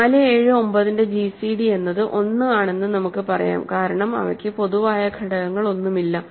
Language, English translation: Malayalam, So, gcd of 4 7 and let us say 9 is 1, right because they have no common factors